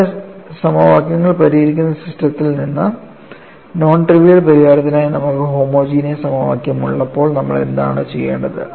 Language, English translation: Malayalam, And, from your system of solving equations, when you have homogeneous equation for non trivial solution, what is it that you have to do